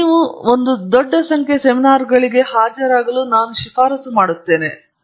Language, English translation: Kannada, So, I would recommend for example, that you attend a large number of seminars